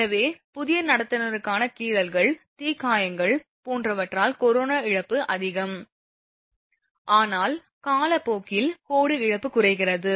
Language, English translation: Tamil, So, corona loss is more due to scratches, burns etc for the new conductor, but over the time as the line ages corona loss decreases